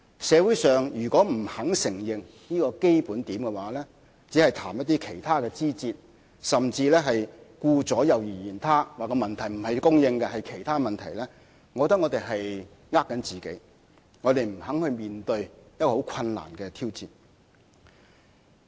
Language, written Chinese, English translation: Cantonese, 社會如果不肯承認這個基本點，而只是談一些其他的枝節，甚至顧左右而言他，指問題不是供應而是其他因素所致，我覺得他們只是在欺騙自己，不肯面對一個很困難的挑戰。, If the public do not admit this fundamental point but talk about other minor details or even evade this issue and say that the problem is not caused by other factors than land supply I think they are just fooling themselves and refusing to face up to this tremendous challenge